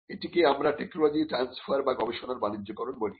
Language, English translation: Bengali, So, we call it transfer of technology or commercialization of research